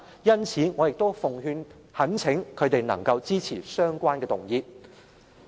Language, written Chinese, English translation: Cantonese, 因此，我奉勸並懇請他們支持相關的修訂。, Hence I advise and implore them to support the relevant amendments